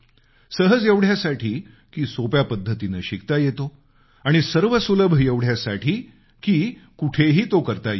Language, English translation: Marathi, It is simple because it can be easily learned and it is accessible, since it can be done anywhere